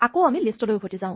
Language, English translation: Assamese, Let us go back to lists